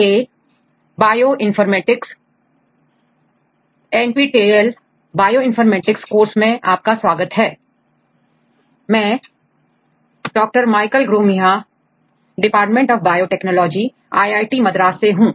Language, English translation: Hindi, Welcome to the NPTEL course on Bioinformatics, I am Dr Michael Gromiha from the Department of Biotechnology, IIT Madras